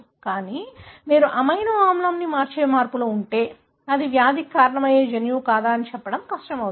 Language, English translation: Telugu, But, if you have changes that are changing the amino acid it becomes extremely difficult to tell whether that is the gene which is causing the disease